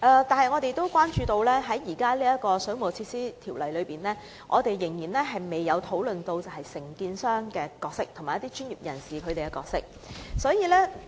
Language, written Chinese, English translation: Cantonese, 但是，我們也關注到，現行的《水務設施條例》仍未有就承建商及一些相關專業人士的責任作出界定。, Yet we also note with concern that the responsibilities of the contractors and relevant professionals have not been delineated in the existing WWO